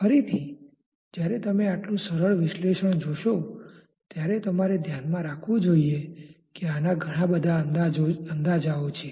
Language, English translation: Gujarati, Again when you see such a simple analysis you should keep in mind that this has many approximations